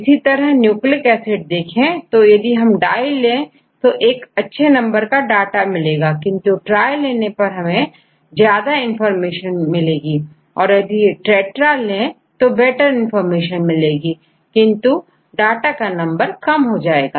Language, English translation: Hindi, Likewise the nucleic acids; if you take the di you get good number of data, but tri provides more information and go with the tetra you will get a better information, but the number of data are less